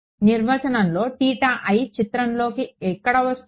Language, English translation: Telugu, In the definition where does theta I come into the picture